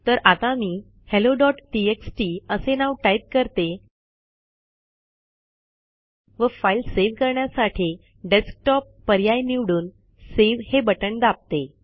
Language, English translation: Marathi, So let me type the name as hello.txt and for location I select it as Desktop and click on save button